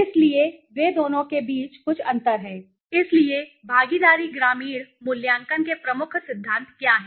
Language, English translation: Hindi, So they are some of the differences between the two so what are the key principles of the participation participatory rural appraisal